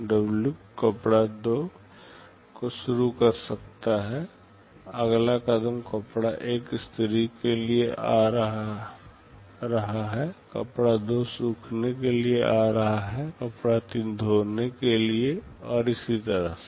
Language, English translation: Hindi, Next step, cloth 1 is coming for ironing, cloth 2 is coming for drying, cloth 3 for washing and so on